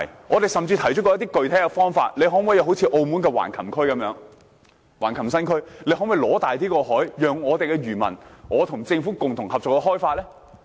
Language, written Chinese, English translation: Cantonese, 我們甚至提出過一些具體方法，要求政府仿效澳門的橫琴新區？可否爭取大一點的海域，讓我們的漁民和政府共同合作開發？, I have even put forward some concrete proposals such as asking the Government to follow the example of the Hengqin New Area and to fight for a bigger maritime space to allow our fishermen to develop the space with the Government